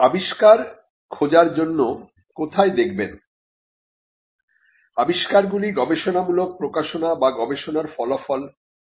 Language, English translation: Bengali, Inventions may result out of research publications, or outcome of research